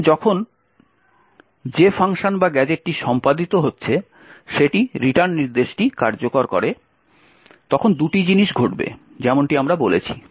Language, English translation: Bengali, Now when the function or the gadget being executed executes the return instruction as we have said there are two things that would happen